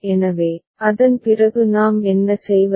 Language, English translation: Tamil, So, after that what we do